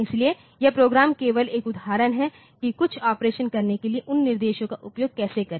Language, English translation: Hindi, So, this program is just an example on how to use those instructions for doing some operation